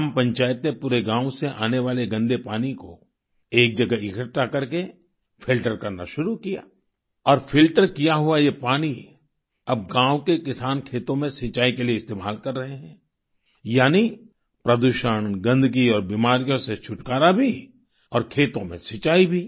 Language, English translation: Hindi, The village Panchayat started filtering the dirty water coming from the village after collecting it at a place, and this filtered water is now being used for irrigation by the farmers of the village, thereby, liberating them from pollution, filth and disease and irrigating the fields too